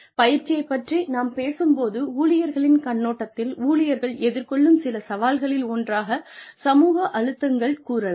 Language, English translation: Tamil, When we talk about training, from the perspective of the employees, some challenges, that employees face are, social pressures